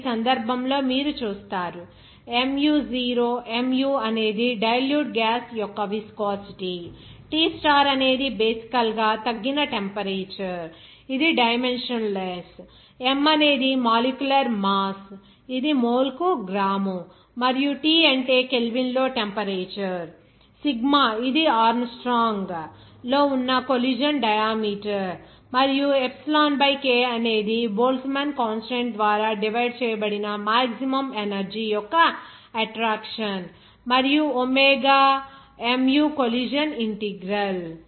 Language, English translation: Telugu, Here, in this case, you will see that mu0, mu is the viscosity of the dilute gas, T star is basically the reduced temperature, it is dimensionless, M is molecular mass that is gram per mole, and what is that T is the temperature in Kelvin, sigma it is a collision diameter that is in Armstrong, and also epsilon by K is the maximum energy of attraction divided by Boltzmann constant, and omega mu the collision integral